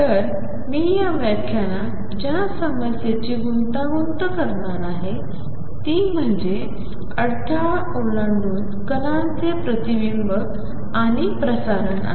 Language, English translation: Marathi, So, the problem I am going to tangle in this lecture is the reflection and transmission of particles across a barrier